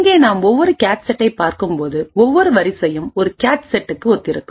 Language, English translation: Tamil, And each cache set as we see over here, each row over here corresponds to a cache set